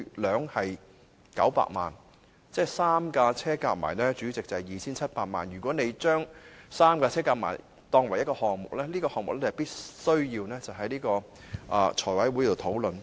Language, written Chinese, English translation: Cantonese, 主席，這3輛車總值 2,700 萬元，如合組成為一個項目，此項目必須提交財務委員會討論。, If they had been put under the same budget proposal this proposal would have to be submitted to the Finance Committee for discussion